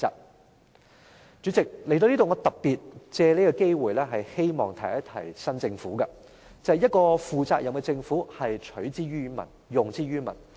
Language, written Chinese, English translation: Cantonese, 代理主席，談到這點，我特別藉此機會，希望提醒新政府，便是一個負責任的政府是取之於民，用之於民。, Deputy President in this connection I especially want to take this opportunity to remind the new Government that what is taken from the people should be given back to the people and that is what a responsible government should do